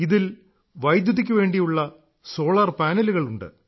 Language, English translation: Malayalam, It has solar panels too for electricity